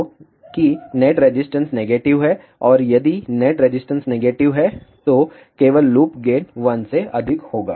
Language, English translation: Hindi, So, that the net resistance is negative and if the net resistance is negative then only loop gain will be greater than one